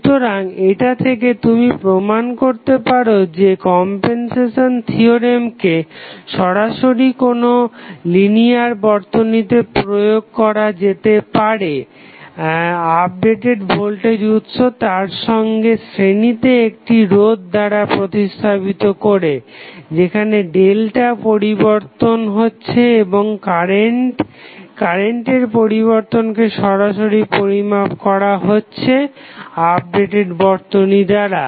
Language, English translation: Bengali, So, this you can justify that the compensation theorem can be directly applied for a linear circuit by replacing updated voltage source in series with the resistance where the change of delta is happening and find out the value directly the change in the value of current directly with the help of updated circuit